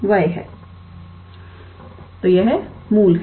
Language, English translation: Hindi, So, that is origin